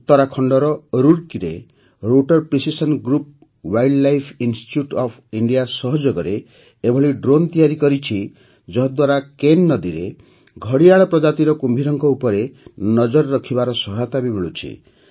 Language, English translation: Odia, In Roorkee, Uttarakhand, Rotor Precision Group in collaboration with Wildlife Institute of India has developed a drone which is helping to keep an eye on the crocodiles in the Ken River